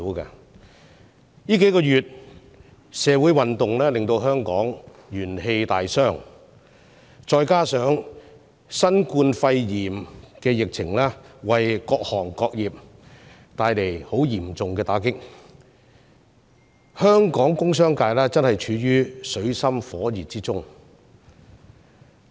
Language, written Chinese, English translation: Cantonese, 持續數個月的社會運動令香港元氣大傷，再加上新冠肺炎疫情對各行各業帶來嚴重打擊，香港的工商界正處於水深火熱中。, With Hong Kong crippled by the months - long social movement and various industries and sectors hard hit by the outbreak of the Coronavirus Disease 2019 COVID - 19 the industrial and business sectors of Hong Kong are now in dire straits